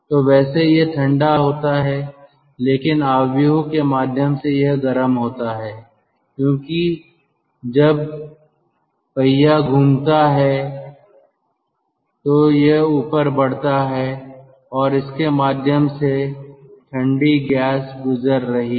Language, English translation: Hindi, but this hot ah, the heated up, the portion which is heated up, the portion of the matrix which is heated up as it is rotating, as the wheel is rotating, it moves up and through that cold gas is passing